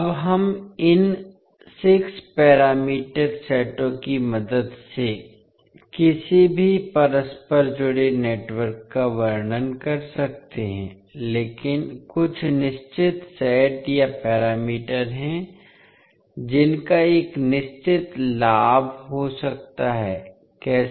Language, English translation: Hindi, Now, we can describe any interconnected network with the help of these 6 parameter sets, but there are certain sets or parameters which may have a definite advantage, how